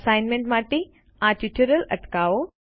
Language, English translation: Gujarati, Pause this tutorial for the assignment